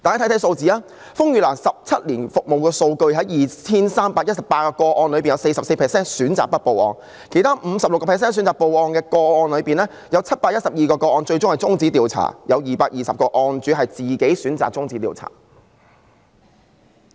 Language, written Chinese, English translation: Cantonese, 看看數字，根據風雨蘭17年來的服務數據，在 2,318 宗個案中，有 44% 選擇不報案；其餘 56% 選擇報案的個案中，有712宗個案最後終止調查，當中220宗是事主自行選擇終止調查的。, Let us have a look at the figures . According to the data on RainLilys services over the past 17 years 44 % of the 2 318 cases saw the victim opting not to report to police . Among the remaining 56 % of cases in which the incident was reported 712 cases ended up in termination of investigation 220 among them due to the victims own choice